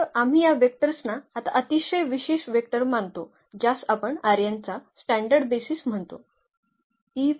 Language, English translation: Marathi, So, we consider these vectors now very special vector which we call the standard basis of R n